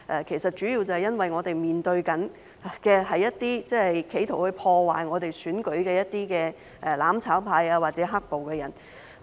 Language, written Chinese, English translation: Cantonese, 其實，主要原因是我們面對着一些企圖破壞香港選舉的"攬炒派"或"黑暴"的人。, In fact the main reason is that we are facing members of the mutual destruction camp or black - clad rioters who are trying to sabotage the elections in Hong Kong